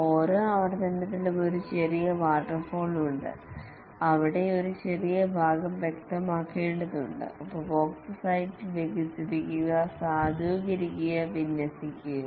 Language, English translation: Malayalam, In each iteration is a mini waterfall where need to specify a small part, develop, validate and deploy at the customer site